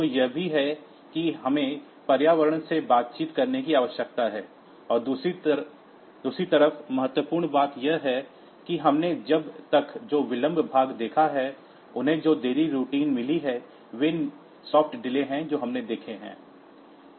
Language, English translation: Hindi, So, it is also the we need to interact with the environment, and the second important thing is that the delay part that we have seen so far, the delay routines they have got they are they are soft delay that we have seen